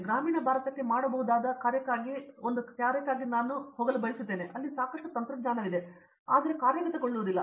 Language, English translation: Kannada, But I would like work for a something that can be done for the rural India, where there is lot of technology and it is not being implemented